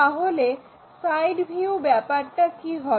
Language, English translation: Bengali, What about side view